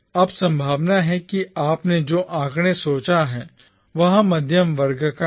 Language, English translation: Hindi, Now, chances are that the figures that you have thought belongs to the middle class